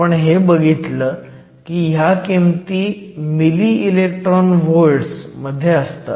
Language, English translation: Marathi, We also saw that this is typically of the order of milli electron volts